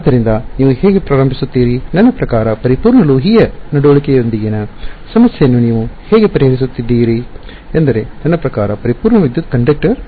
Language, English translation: Kannada, So, this is how you would start, I mean this is how you would solve problem with a perfect metallic conduct I mean perfect electric conductor ok